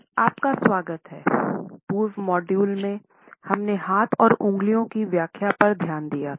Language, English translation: Hindi, Welcome dear participants, in the prior modules we have looked at the interpretations of our hands and fingers